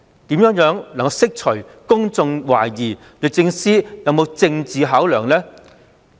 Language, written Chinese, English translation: Cantonese, 試問政府如何釋除公眾對律政司有政治考量的疑慮呢？, How can the Government possibly allay peoples concern that DoJ was influenced by political considerations?